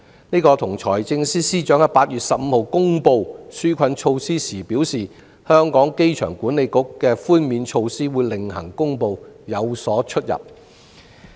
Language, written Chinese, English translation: Cantonese, 這與財政司司長在8月15日公布紓困措施時表示，機管局會另行公布寬免措施有所出入。, This is contradictory to the Financial Secretarys remarks when he announced the relief measures on 15 August that AA would announce its relief measures at a different time